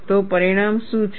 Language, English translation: Gujarati, So, what is the result